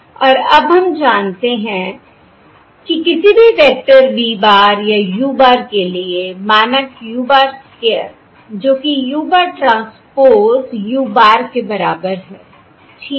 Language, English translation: Hindi, okay, And now we know that for any vector v bar are any vector u bar, norm u bar square equals u bar, transpose, u bar, correct